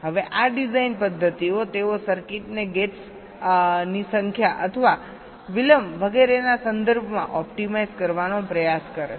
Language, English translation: Gujarati, these design methodologies, they try to optimize the circuit in terms of either the number of gates or the delay and so on